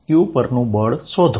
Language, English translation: Gujarati, Find the force on q